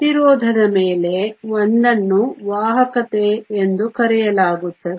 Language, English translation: Kannada, One over the resistivity is called conductivity